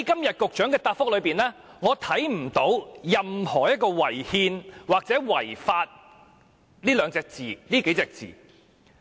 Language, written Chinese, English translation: Cantonese, 在局長的答覆中，沒有任何"違憲"或"違法"的字眼。, Neither the word unconstitutional nor unlawful has been found in the Secretarys reply